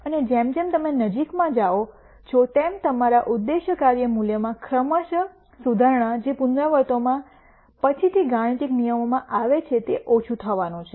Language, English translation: Gujarati, And as you get closer and closer to the optimum the gradual improvement in your objective function value in the iterations that come later in the algorithm are going to be less